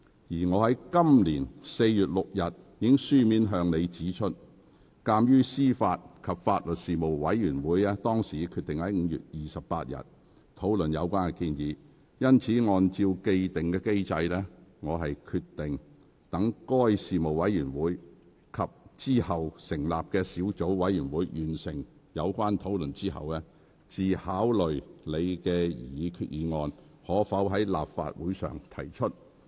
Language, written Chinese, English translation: Cantonese, 在本年4月6日，我已書面向你指出，鑒於司法及法律事務委員會已決定於5月28日討論有關的立法建議，因此按照既定機制，我決定待該事務委員會及之後成立的小組委員會完成有關討論後，才考慮你的擬議決議案可否在立法會會議上提出。, On 6 April I wrote to inform you that as the AJLS Panel would discuss the legislative proposal on 28 May according to the established mechanism I would consider the admissibility of your proposed resolution after the Panel and the Subcommittee to be set up under the Panel finished their discussions